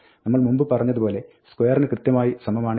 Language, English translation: Malayalam, This is exactly as we said like, before, like, saying f is equal to square